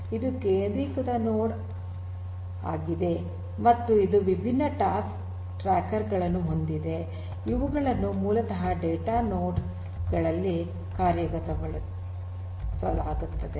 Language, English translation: Kannada, So, this is a centralised node and then you have this different other task trackers for example, which are basically being executed in the data nodes